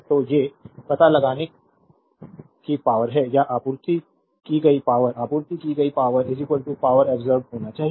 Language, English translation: Hindi, So, these are the you have to find out power absorbed or power supplied right, power supplied must be is equal to power absorbed